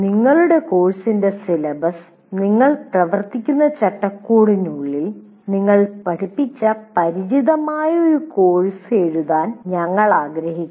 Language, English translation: Malayalam, Now we would like you to write the syllabus of your course within the framework you are operating for a course you taught or familiar with